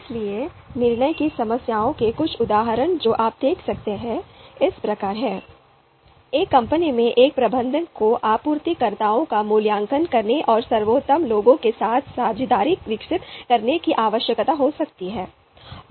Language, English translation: Hindi, So some of the examples of decision problems as you can see: A manager in a company may need to evaluate suppliers and develop partnership with the best ones